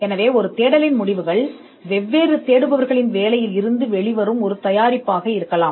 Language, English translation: Tamil, So, the results of a search could be a product that comes out of the work of different searchers who have searched different categories